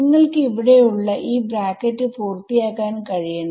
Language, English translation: Malayalam, I want you to complete this bracket over here